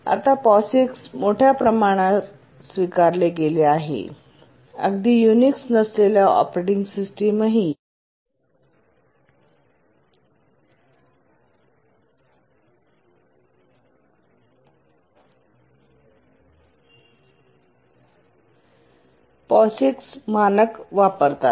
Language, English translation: Marathi, But then it became so popular that even the non unix operating system also became compatible to the POGICs